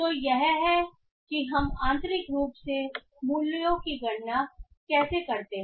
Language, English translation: Hindi, So, this is how we internally calculate the values